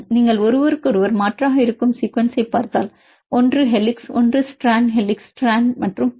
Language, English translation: Tamil, And if you look at the sequence they are alternate with each other, one is helix, one is strand helix strand and so on